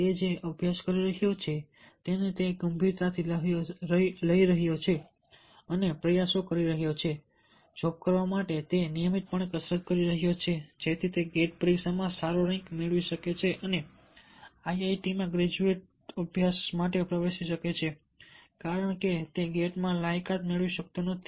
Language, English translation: Gujarati, he is taking the, he is studying seriously, making attempts to do the job, regularly, doing exercise for that, so that he can score a good rank in gate exam and enter into, enter for graduate study in iit